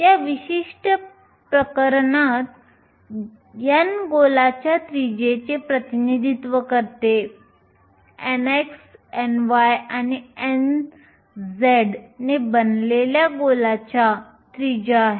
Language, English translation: Marathi, In this particular case, n represents the radius of a sphere, nothing but the radius of a sphere which is made up of n x, n y and n z